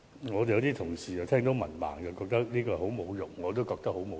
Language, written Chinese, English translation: Cantonese, 有些議員對於被指是文盲覺得很侮辱，我也覺得很侮辱。, Some Members felt extremely insulted by being criticized as illiterate and I felt extremely insulted too